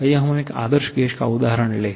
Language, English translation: Hindi, Let us take the example of an ideal gas